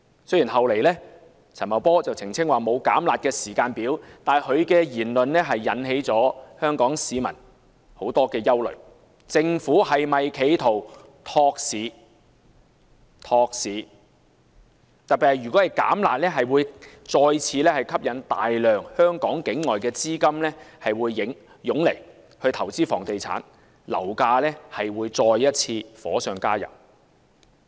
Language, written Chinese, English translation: Cantonese, 雖然陳茂波事後澄清沒有"減辣"時間表，但其言論就引起了香港市民的憂慮政府是否企圖托市，特別是如果"減辣"，將再次吸引大量境外資金湧來香港投資房地產，樓價勢必再次火上加油。, Although he later clarified that there was no timetable for reducing the harsh measures his remarks have aroused concern about whether the Government attempts to boost the market as reducing the harsh measures will attract a large amount of capital outside Hong Kong to invest in real estate and fuel the property prices . The Government should definitely not boost the market